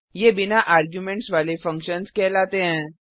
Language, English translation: Hindi, This is called as functions without arguments